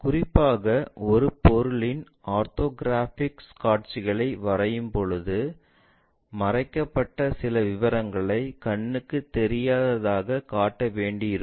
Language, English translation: Tamil, Especially, when drawing the orthographic views of an object, it will be required to show some of the hidden details as invisible